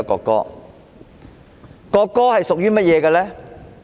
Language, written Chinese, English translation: Cantonese, 國歌是屬於誰的？, To whom does the national anthem belong?